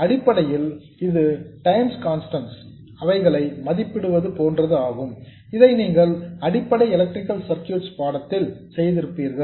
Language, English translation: Tamil, Essentially, it is like evaluating time constants which you would have done in some basic electrical circuits course